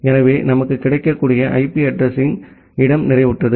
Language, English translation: Tamil, So, the IP address space, which are available to us it is getting saturated